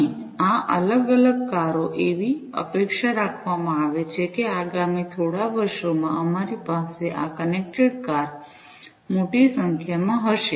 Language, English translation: Gujarati, And these different cars it is expected that we are going to have these connected cars in huge numbers in the next few years